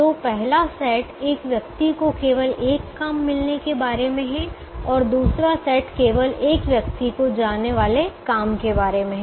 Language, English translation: Hindi, so first set is about a person getting only one job and the second set is about a job going to only one person